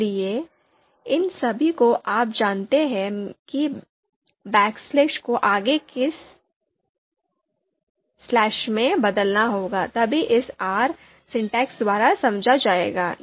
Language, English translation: Hindi, So all these you know backslashes have to be converted into forward slashes, only then it would be understood by the R syntax